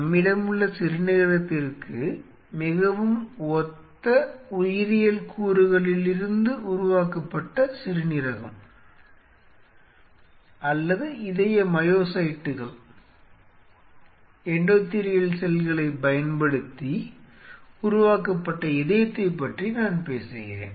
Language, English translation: Tamil, I am talking about kidney developed from biological elements very similar to our existing kidney or a heart developed using cardio myocytes endothelial cells so and so forth, that is where the future is